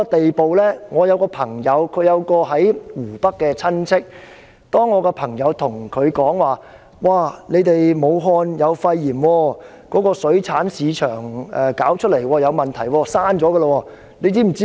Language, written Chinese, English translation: Cantonese, 我有一位朋友，他有一位親戚在湖北，我的朋友告訴他武漢當地有肺炎病例，由水產市場傳出，出現了問題，並且已經關閉。, A friend of mine has a relative in Hubei . My friend told him that there were local cases of pneumonia in Hubei which spread from a seafood market . Associated with the problem it had been closed